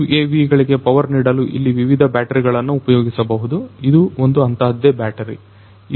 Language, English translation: Kannada, So, there are different batteries that could be used to power these UAVs this is one such battery